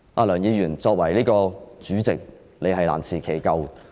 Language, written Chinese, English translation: Cantonese, 梁議員，作為主席，你是難辭其咎。, Mr LEUNG as President you can hardly absolve yourself of the blame